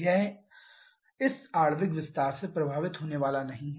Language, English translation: Hindi, This is not going to get affected by this molecular expansion